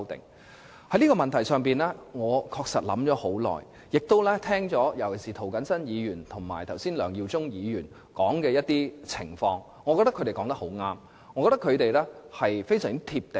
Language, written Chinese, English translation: Cantonese, 我也有就這個問題思考良久，亦聆聽了剛才涂謹申議員及梁耀忠議員提述的情況，我認為他們都說得很對，而且非常"貼地"。, I have pondered on the question for quite some time and have listened to the situation depicted by Mr James TO and Mr LEUNG Yiu - chung earlier . I think their remarks are very true and down - to - earth